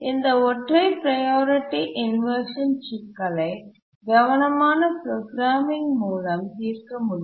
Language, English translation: Tamil, Simple priority inversion can be solved through careful programming